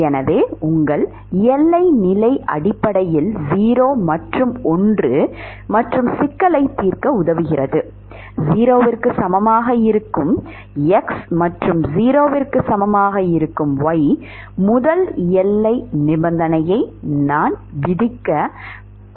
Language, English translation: Tamil, So, your boundary condition essentially becomes 0 and one and it helps in solving the problem, if I impose the first boundary condition that will be 0 equal to, any x and y equal to 0